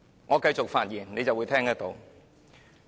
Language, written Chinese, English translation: Cantonese, 我繼續發言，你便會聽到。, You will hear it when I continue to talk